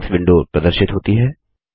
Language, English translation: Hindi, The Settings window appears